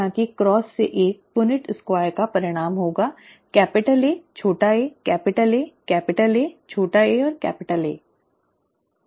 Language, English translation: Hindi, And a Punnett square from this kind of a cross would result in capital A small a, capital A, capital A small a and capital A